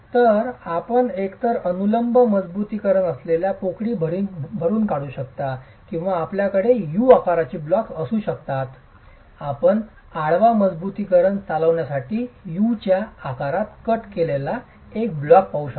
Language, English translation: Marathi, So, you could either vertically fill the cavities in which the vertical reinforcement is sitting or you might have the U shape blocks, you can see a block which is cut in the shape of U for the horizontal reinforcement to run